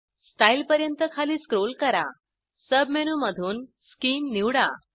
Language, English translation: Marathi, Scroll down to Style, select Scheme from the sub menu